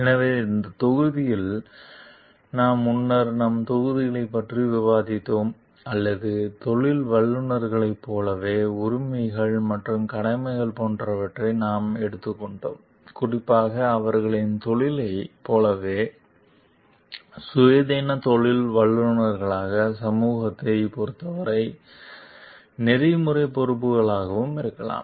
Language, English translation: Tamil, So, in this module we are earlier, we have discussed modules or where we have taken them as like rights and duties as professionals, maybe as independent professionals as like particularly to their profession and maybe the ethical responsibilities with respond respect to the society at large